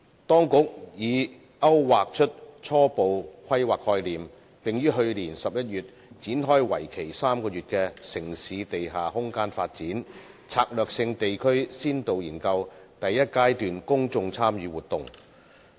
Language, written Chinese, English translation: Cantonese, 當局已勾劃出初步規劃概念，並於去年11月展開為期3個月的"城市地下空間發展：策略性地區先導研究"第一階段公眾參與活動。, The authorities have drawn up the preliminary planning concepts and launched in November last year a three - month Stage 1 Public Engagement for the Pilot Study on Underground Space Development in Selected Strategic Urban Areas